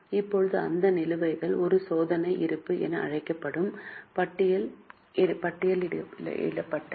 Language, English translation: Tamil, Now those balances are listed in a list which is called as a trial balance